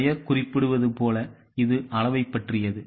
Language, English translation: Tamil, As the name suggests, it is about the quantities